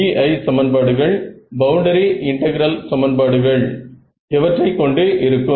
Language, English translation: Tamil, The BI equations the boundary integral equations involves what and what